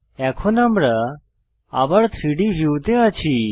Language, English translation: Bengali, I am selecting the 3D view